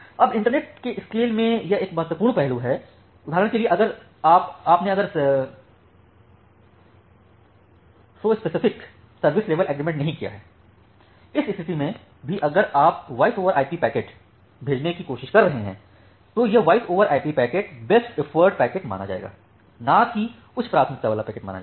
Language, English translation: Hindi, Now that is an important aspect in the internet scale, say for example, you have not made the specific service level agreement; in that case even if you are trying to send some voice over IP packet, that voice over IP packets will be treated as a best effort packet not as an high priority packet